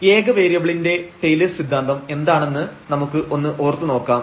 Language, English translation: Malayalam, So, what is the Taylors theorem of function of single variables we need to just recall